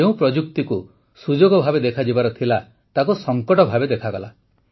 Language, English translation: Odia, The technology that should have been seen as an opportunity was seen as a crisis